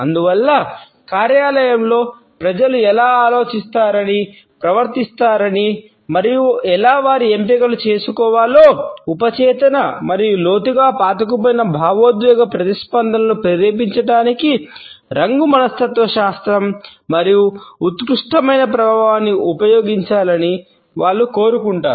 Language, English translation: Telugu, And therefore, they want to use the subliminal effect of color psychology to trigger subconscious and deeply rooted emotional responses in how people think behave and make their choices in the workplace